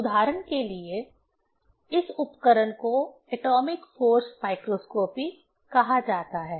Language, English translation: Hindi, As for example, this instrument is called atomic force microscopy